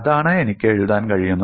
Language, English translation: Malayalam, That is only thing, which I can write